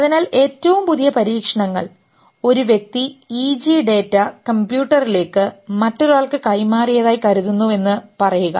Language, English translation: Malayalam, So, the latest experiments say that a person is thinking that EG data is taken and transferred through a computer to the other person